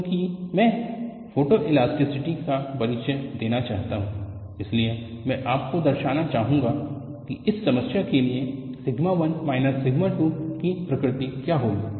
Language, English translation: Hindi, Because I want to introduce photoelasticity,I would like you to plot what would be the nature of sigma 1 minus sigma 2 for this problem